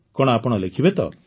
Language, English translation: Odia, so will you write